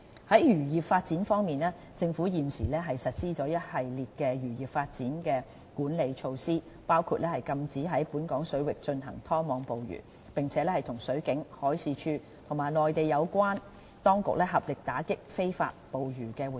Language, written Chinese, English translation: Cantonese, 在漁業發展方面，政府現時實施了一系列漁業發展的管理措施，包括禁止在本港水域進行拖網捕魚，並與水警、海事處和內地有關當局合力打擊非法捕魚活動。, In respect of fisheries development the Government has implemented a series of management measures to control fisheries development including a ban on trawling in local waters and collaborating with the Marine Police the Marine Department and the relevant Mainland departments in combatting illegal fishing activities